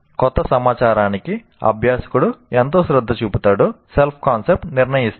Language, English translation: Telugu, So self concept determines how much attention, learner will give to new information